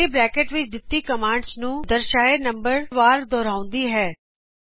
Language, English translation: Punjabi, This repeats the commands within the curly brackets the specified number of times